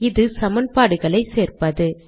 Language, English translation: Tamil, This is including equations